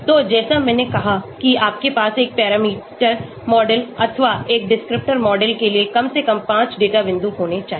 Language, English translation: Hindi, So like I said you must have at least 5 data points for one parameter model or one descriptor model